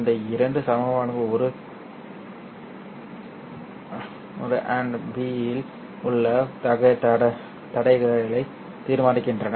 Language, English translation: Tamil, These two equations determine the constraints on A and B